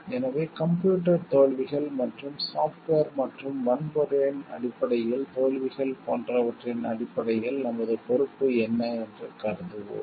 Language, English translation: Tamil, So, then what is our responsibility in terms of suppose like computer failures so and that to failures in terms of software and hardware